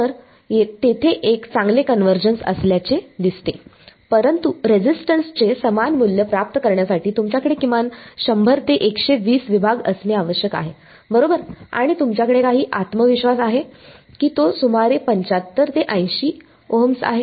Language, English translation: Marathi, So, there seems to be a good convergence, but you need to have at least about 100 to 120 segments to get the same value of resistance right and you have some confidence that it's about 75 to 80 Ohms